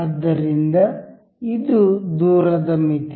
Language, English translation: Kannada, So, this is distance limit